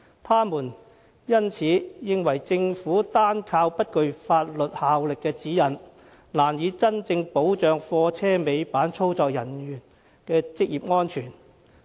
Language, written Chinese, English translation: Cantonese, 他們因此認為政府單靠不具法律效力的《指引》，難以真正保障貨車尾板操作人員的職業安全。, They therefore consider that the Government cannot truly safeguard the occupational safety of operators of tail lifts by relying solely on the Notes which have no legal effect